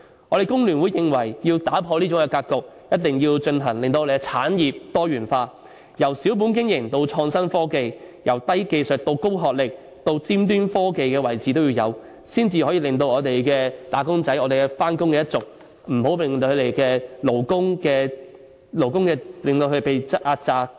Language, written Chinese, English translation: Cantonese, 我們工聯會認為如要打破這種格局，必須進行產業多元化，由小本經營到創新科技；由低技術到高學歷，甚至達尖端科技的位置都要有，才能令我們的"打工仔"、"返工一族"等勞工階層不會被壓榨。, We the Hong Kong Federation of Trade Unions think that in order to change this situation our industries should be diversified from small businesses to innovation and technology enterprises from businesses requiring low - skilled workers to those requiring highly educated personnel and even businesses on the cutting edge of technology so that our labour and employees will not be exploited